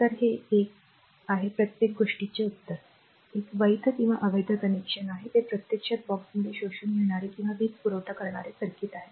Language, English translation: Marathi, So, this is one then and answer for everything, this is a valid or invalid connection it is actually circuit inside the box absorbing or supplying power right